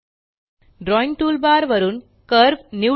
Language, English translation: Marathi, From the Drawing toolbar, select Curve